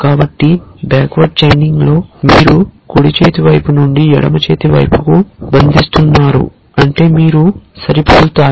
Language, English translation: Telugu, So, in backward chaining you are chaining from the right hand side to the left hand side which means you match